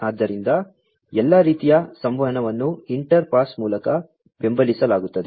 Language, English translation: Kannada, So, all kinds of communication is supported by inter pass